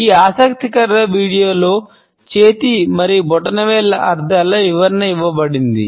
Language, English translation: Telugu, In this interesting video, we find that an explanation of the meanings of hand and thumbs is given